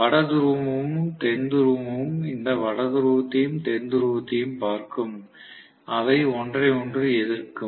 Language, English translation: Tamil, So the North Pole and South Pole will look at this North Pole and South Pole and it will repel, right